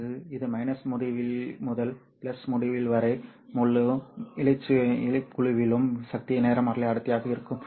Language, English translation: Tamil, So it would actually be the power spectral density over the entire band from minus infinity to plus infinity